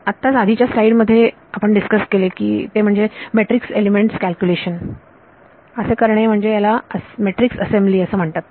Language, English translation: Marathi, What we just discussed in the previous slide that is calculating the matrix elements it is called matrix assembly